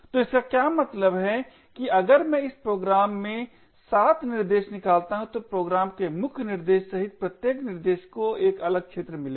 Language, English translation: Hindi, So what this means is that if I fork 7 threads in this program then each thread including the main thread of the program would get a different arena